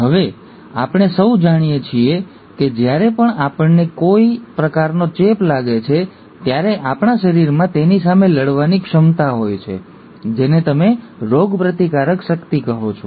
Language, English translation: Gujarati, Now we all know, that every time we get some sort of an infection, our body has an ability to fight it out, which is what you call as ‘immunity’